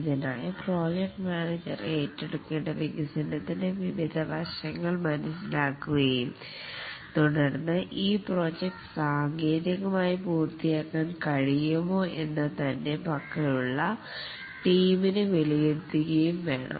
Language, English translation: Malayalam, For this, the project manager needs to understand various aspects of the development to be undertaken and then assesses whether the team that he has, whether they can technically complete this project